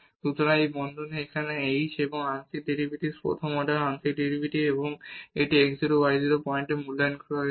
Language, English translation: Bengali, So, this parenthesis here h and the partial derivatives the first order partial derivatives and this evaluated at x 0 y 0 point